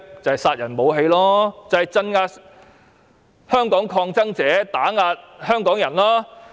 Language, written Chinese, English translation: Cantonese, 即殺人武器，用來鎮壓香港抗爭者、打壓香港人。, They are lethal weapons for oppressing Hong Kong protesters and suppressing Hong Kong people